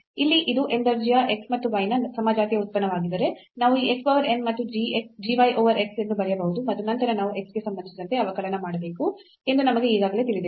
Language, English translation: Kannada, So, here if it is a homogeneous function of x and y of order n; so, we can write down that this x power n and g y over x and then we know already we have to differentiate with respect to x